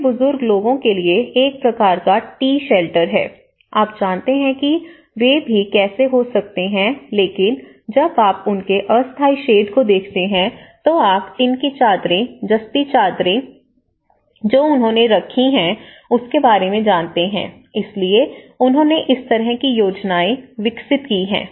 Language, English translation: Hindi, Then, for elderly people there is a kind of T Shelter, you know how they can also but if you look at there is a kind of temporary shed, you know the tin sheets, the galvanized sheets they have kept it